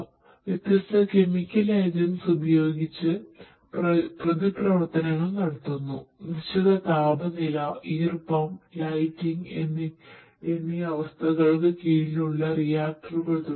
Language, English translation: Malayalam, Performing different reactions with different agents, reagents under certain temperature humidity lighting condition and so on